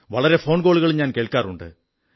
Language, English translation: Malayalam, I listen to many phone calls too